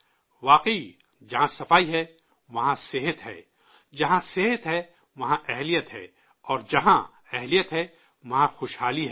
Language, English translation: Urdu, Indeed, where there is cleanliness, there is health, where there is health, there is capability, and where there is capability, there is prosperity